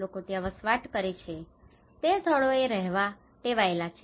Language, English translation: Gujarati, People tend to live in the places where they are habituated to